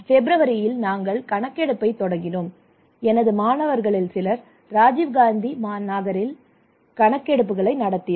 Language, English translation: Tamil, And we started this survey in February and some of my students some of our students are conducting surveys in Rajiv Gandhi Nagar okay